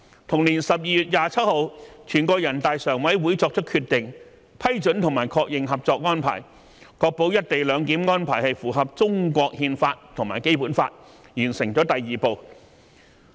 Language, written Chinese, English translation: Cantonese, 同年12月27日，全國人大常委會作出決定，批准及確認《合作安排》，確保"一地兩檢"安排符合《中華人民共和國憲法》及《基本法》，完成第二步。, On 27 December in the same year the Standing Committee of the National Peoples Congress made a decision to approve and endorse the Co - operation Arrangement which ensured that the co - location arrangement was in line with the Constitution of the Peoples Republic of China and the Basic Law . And the second step was completed